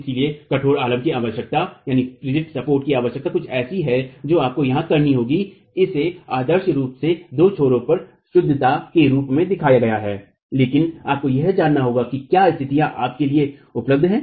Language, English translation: Hindi, , the concept of the rigid support is something you will have to here it is ideally shown as fixity at the two ends but you have to examine if the conditions prevail for that to be available to you